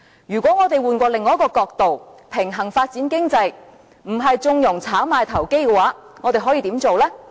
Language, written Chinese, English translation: Cantonese, 如果我們換另一個角度，平衡發展經濟，不是縱容炒賣投機，我們可以怎樣做呢？, Suppose we look at the whole thing from another angle aiming at balanced economic development rather than condoning speculation what can we do?